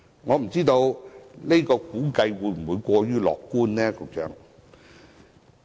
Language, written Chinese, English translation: Cantonese, 我不知道這個估計會否過於樂觀，局長？, Secretary I am not sure if such an estimation is too optimistic